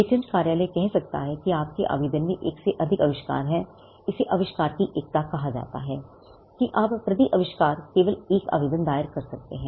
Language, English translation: Hindi, The patent office may say that your application has more than one invention; this is called the unity of invention, that you can file only one application per invention